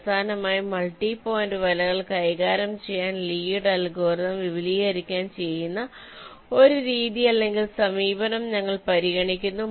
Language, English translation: Malayalam, lastly, we consider ah method run approach, in which you can extend lees algorithm to handle multi point nets